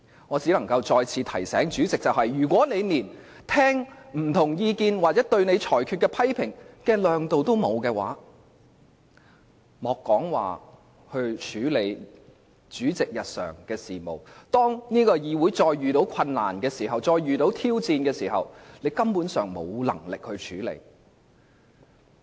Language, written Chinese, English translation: Cantonese, 我只能再次提醒主席，如果他連聆聽不同意見或對其裁決的批評的胸襟也沒有，莫說處理主席的日常事務，當議會再遇到困難或挑戰時，他根本沒有能力處理。, Let me remind the President again if he lacks the broad - mindedness to listen to different opinions or criticisms about his rulings he simply lacks the competence to deal with daily business let alone handle the difficulties or challenges faced by the Council